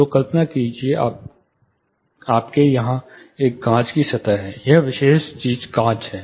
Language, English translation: Hindi, So, imagine you have a glass surface here, this particular thing is glass